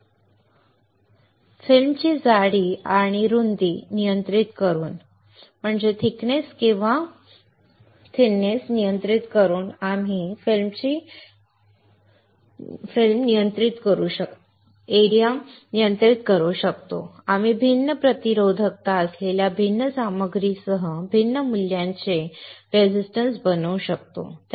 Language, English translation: Marathi, By controlling the thickness and width of the film, we can fabricate resistors of different values with different materials having different resistivity